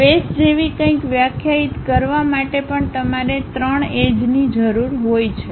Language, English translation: Gujarati, Even to define something like a face you require 3 edges